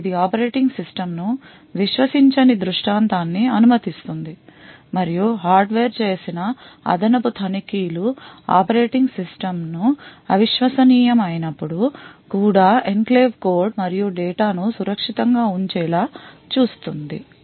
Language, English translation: Telugu, So this would permit a scenario where the operating system is not trusted and the additional checks done by the hardware would ensure that the enclave code and data is kept safe even when the operating system is untrusted